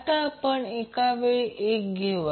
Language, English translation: Marathi, So let us take one example